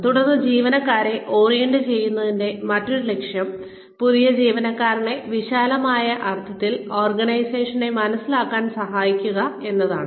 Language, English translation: Malayalam, Then, another purpose of orienting employees is, to help the new employee, understand the organization in a broad sense